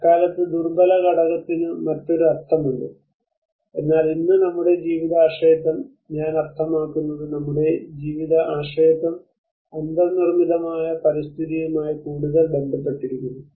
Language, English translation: Malayalam, That time the vulnerability component has a different meaning, but today our dependency of life I mean our life dependence is more to do with the built environment